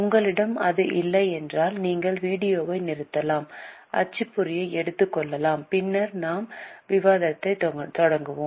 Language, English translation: Tamil, In case you don't have it you can stop the video, take the printout and then we will start the discussion